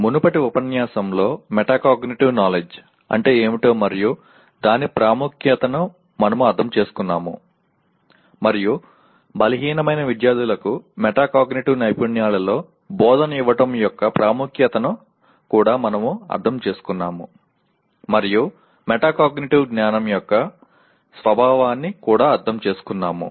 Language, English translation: Telugu, In the earlier unit we understood what metacognitive knowledge is and its importance and also we understood the importance of giving instruction in metacognitive skills to weaker students and also understood the nature of the metacognitive knowledge itself